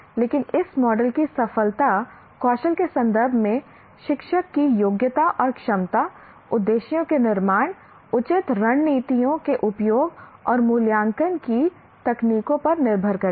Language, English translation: Hindi, But the success of this model depends on the competency and ability of the teacher in terms of skills like formulation of objectives, use of proper strategies and techniques of evaluation